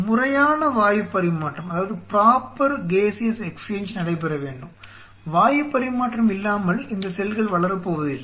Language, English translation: Tamil, There has to be a proper Gaseous exchange which should take place, without the Gaseous exchange these cells are not going to grow